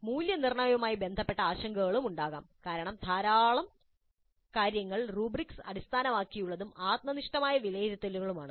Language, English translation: Malayalam, Concerns regarding evaluation also may be there because there are lots of things which are little bit rubrics based subjective evaluations